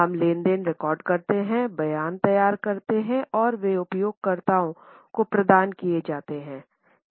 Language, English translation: Hindi, We record transactions, prepare statements and they are provided to the users